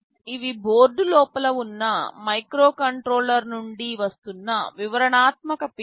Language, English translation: Telugu, These are the detailed pins that are coming from the microcontroller sitting inside the board